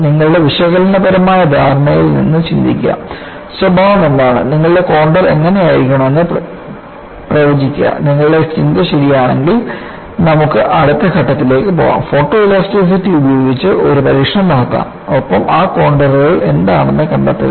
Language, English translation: Malayalam, Suppose you anticipate from your analytical understanding, what is the nature, and predict this is how the contour could be, and if your thinking is correct, we can proceed to the next step, perform an experiment by photoelasticity, and find out what those contours represent